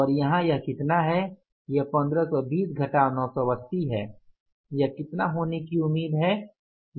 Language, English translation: Hindi, This is 1520 minus 980